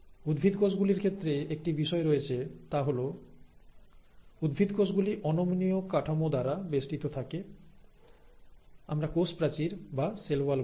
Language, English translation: Bengali, Now, there is a issue when it comes to plant cells because the plant cells are also surrounded by this rigid structure which is what we call as the cell wall